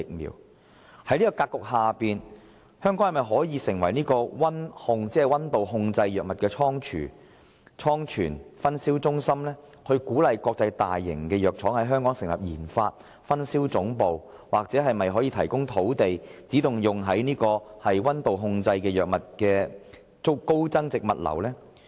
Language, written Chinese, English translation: Cantonese, 有鑒於此，政府會否考慮把香港打造成為溫度控制藥物的倉存/分銷中心，並鼓勵國際大型藥廠在香港成立研發及分銷總部？又或政府可否提供土地，以發展專為溫控藥物而設的高增值物流服務？, In light of this will the Government consider building Hong Kong into a storagedistribution centre for temperature - sensitive pharmaceutical products while encouraging large international pharmaceutical manufacturers to set up their headquarters in Hong Kong for the conduct of research and development RD and distribution of pharmaceutical products or that the Government provide sites for developing dedicated high value - added logistic services to cater for temperature - sensitive pharmaceutical products?